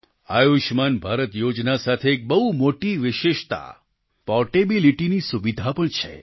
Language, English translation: Gujarati, An important feature with the 'Ayushman Bharat' scheme is its portability facility